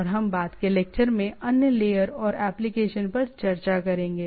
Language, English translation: Hindi, And we will discuss about other layers and applications in the subsequent lectures